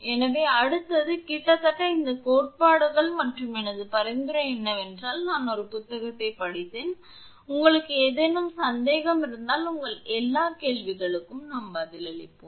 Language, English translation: Tamil, So, next is, up to this almost of the theories and my suggestion is that just I read a book and if you have any doubt we will answer your all questions